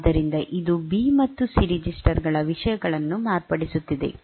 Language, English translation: Kannada, So, it is modifying the contents of B and C registers